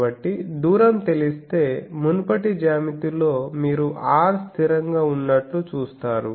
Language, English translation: Telugu, So, in that previous geometry you see the R is fixed